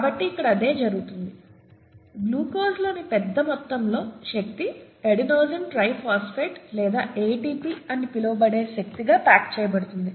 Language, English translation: Telugu, So that is what happens here, the large amount of energy in glucose gets packaged into appropriate energy in what is called an Adenosine Triphosphate or ATP